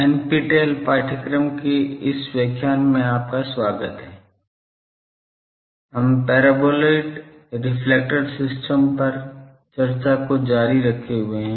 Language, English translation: Hindi, Welcome to this lecture in NPTEL course, we are continuing the discussion on reflect Paraboloid Reflector system